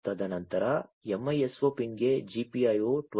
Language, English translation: Kannada, And then GPIO 12 to the MISO pin